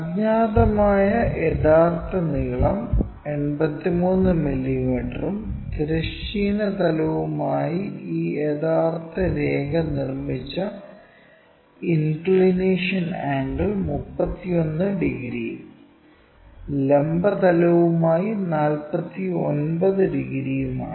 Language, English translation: Malayalam, So, the unknowns true length is 83 mm and the apparent the inclination angles made by this true line with horizontal plane is 31 degrees and with the vertical plane is 49 degrees